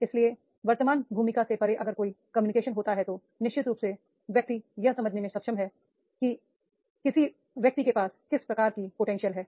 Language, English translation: Hindi, So, beyond the present role if there is a communication, then definitely person will be able to understand that what sort of the potential an individual has